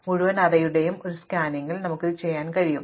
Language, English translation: Malayalam, We can do it in one scan of the entire array